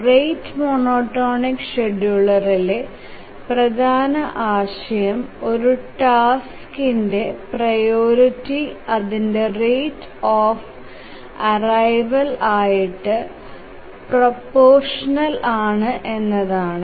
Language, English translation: Malayalam, The main idea in the rate monotonic scheduler is that the priority of a task is proportional to its rate of arrival